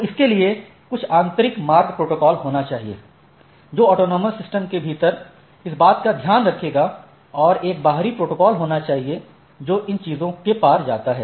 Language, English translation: Hindi, So, one is that there should be some internal routing protocol, which will take care of this within the autonomous system and there are some, there are, there should be a protocol which goes across these things